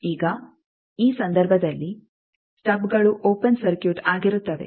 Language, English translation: Kannada, Now in this case stubs are open circuited